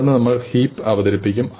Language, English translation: Malayalam, And then we will introduce heaps